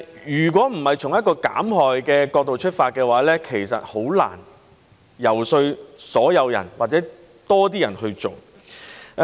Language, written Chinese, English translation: Cantonese, 如果不是從一個減害的角度出發，其實很難遊說所有人或多些人去做。, If we do not do it from the angle of harm reduction actually it is very difficult to persuade everyone or more people to do it